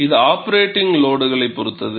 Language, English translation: Tamil, It depends on the operating load